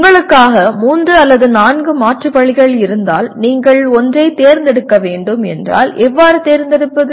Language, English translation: Tamil, What happens is if you have three or four alternatives for you and if you have to select one, how do you select